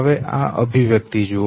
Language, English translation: Gujarati, Now look at this very expression